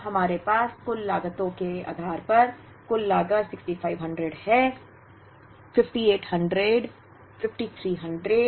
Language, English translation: Hindi, Now, based on all the total costs that we have, the total costs are 6500 5800 5300, 5200 and 5300